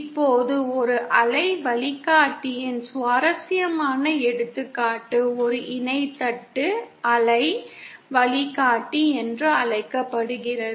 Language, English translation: Tamil, Now an interesting example of a waveguide is what is known as a Parallel Plate Waveguide